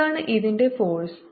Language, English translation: Malayalam, what is the force on this